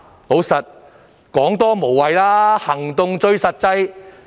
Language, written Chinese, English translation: Cantonese, 事實上，多說無謂，行動最實際。, As a matter of fact it is pointless to talk too much since actions speak louder than words